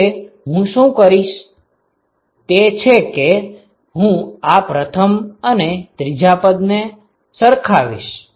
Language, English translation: Gujarati, Now what I can do is I can equate first and the third